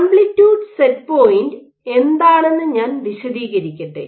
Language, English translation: Malayalam, So, let me explain what is an amplitude set point